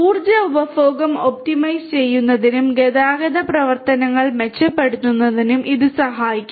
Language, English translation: Malayalam, It can help in optimizing the energy consumption, and to improve the transportation operations